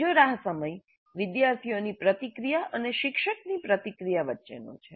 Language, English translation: Gujarati, And there is another wait time between the students' response and the teacher's response